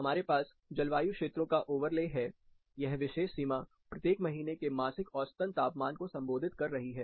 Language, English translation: Hindi, We have overlay of the climate zones in this particular boundary represents, the monthly mean temperatures of each month